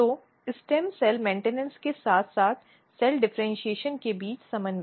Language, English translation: Hindi, So, the coordination between stem cell maintenance as well as cell differentiation, two things are happening